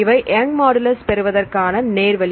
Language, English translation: Tamil, Then this is the direct way to get the Young’s modulus